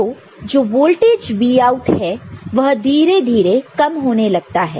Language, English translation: Hindi, This voltage, this Vout will slowly come down